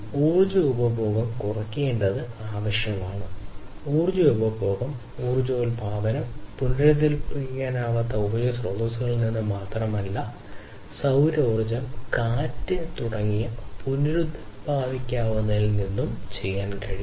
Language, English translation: Malayalam, So, reduction in energy consumption is also required and energy consumption, energy production can be done not only from the non renewable sources of energy, but also from the renewable ones like solar, wind, and so on